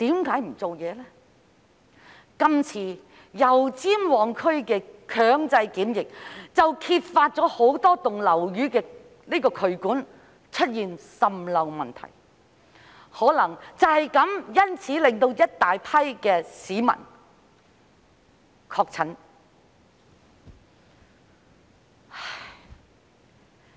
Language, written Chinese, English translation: Cantonese, 今次油尖旺區的強制檢疫，揭發了很多樓宇的渠管出現滲漏問題，可能因此令大批市民確診。, The compulsory quarantine in Yau Tsim Mong district this time has exposed that there is leakage in drainage pipes of many buildings which may have caused the infection of a large number of people